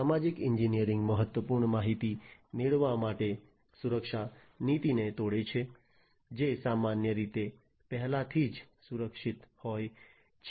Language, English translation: Gujarati, Social engineering breaks the security policy to get critical information, which is typically already secured